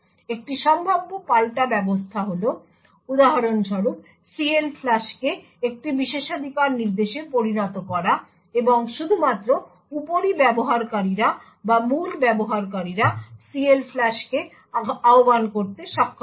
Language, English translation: Bengali, One possible countermeasure is to for example, is to make CLFLUSH a privilege instruction and only super users or root users would be able to invoke CLFLUSH